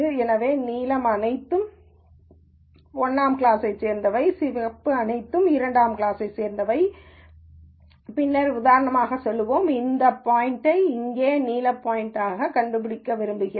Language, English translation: Tamil, So, the blue are all belonging to class 1 and the red is all belonging to class 2, and then let us say for example, I want to figure out this point here blue point